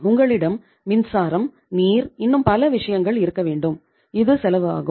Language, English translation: Tamil, You have to have power, water, so many other things, it has a cost